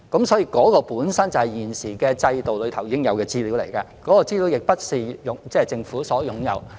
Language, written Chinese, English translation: Cantonese, 所以，有關資料本身就是現時制度內已存在的，並不是由政府擁有。, Therefore the relevant data itself is already in the existing system and is not owned by the Government